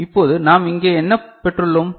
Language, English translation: Tamil, Now, what we have got here